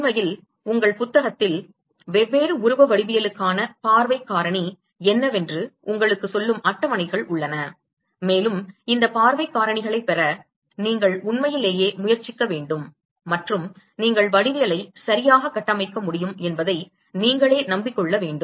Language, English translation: Tamil, In fact, there are tables in your book which tells you what is the view factor for different shape geometries and you should really attempt to derive these view factors and convince yourself that you are able to construct the geometries properly